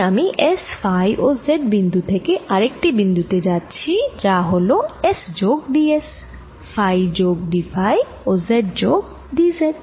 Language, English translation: Bengali, so if i am going from point s phi and z to another point which is s plus d s, phi plus d phi and z plus d z, then the line element d l